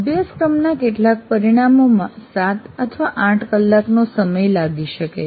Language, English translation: Gujarati, And some of the course outcomes may take seven, seven hours, eight hours, whatever maybe